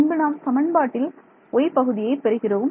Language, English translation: Tamil, So, that will give me the x part